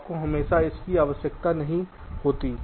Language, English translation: Hindi, you always do not need their